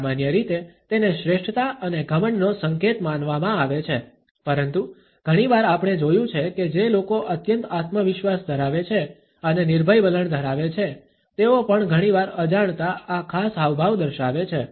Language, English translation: Gujarati, Normally, it is considered to be a gesture of superiority and arrogance, but very often we find that people who are highly self confident and have a fearless attitude also often inadvertently display this particular gesture